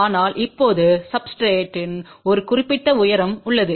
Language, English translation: Tamil, But now there is a certain height of the substrate